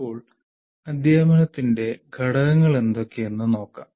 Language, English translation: Malayalam, Now let us look at components of teaching